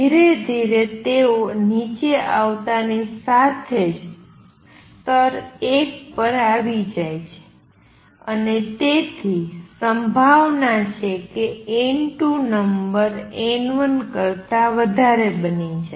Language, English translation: Gujarati, As slowly they come down as soon as they come down to level one and therefore, there is a possibility that number n 3 would become greater than n 2